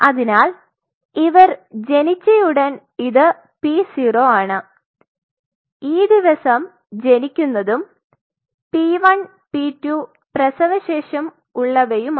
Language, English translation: Malayalam, So, as soon as they are born this is p 0 this is the day will be born and p 1 p 2 postnatal